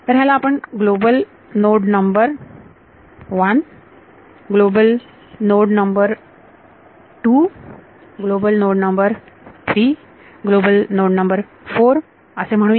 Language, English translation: Marathi, So, let us call this guy global node number 1, global node 2 global node 3 and global node 4